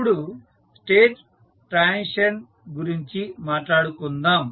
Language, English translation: Telugu, Now, let us talk about the state transition equation